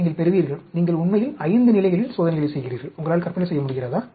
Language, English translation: Tamil, You will get, you are actually doing experiments at 5 levels, can you imagine